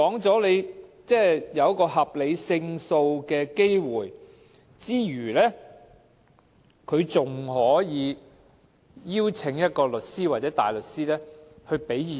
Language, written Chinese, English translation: Cantonese, 在考慮合理勝訴機會之餘，該署還可以邀請律師或大律師提供意見。, In considering whether there is a reasonable chance of winning the case the Department can also invite solicitors or counsels to offer advice